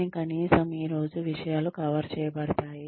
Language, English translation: Telugu, But at least, things are covered for today